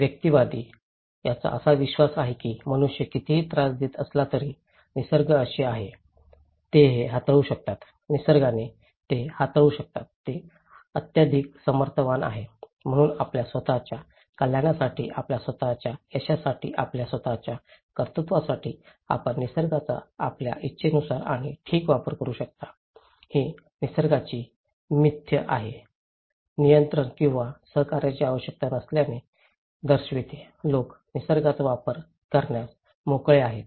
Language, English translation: Marathi, For the individualist, they believe that nature is like no matter how much human disturb it, it will; they can handle it, nature can handle it, it is super powerful, so for your own well being, for your own achievement for your own success, you can utilize the nature as much as you wish and okay, this myth of nature shows that there is no need for control or cooperations, people are free to use the nature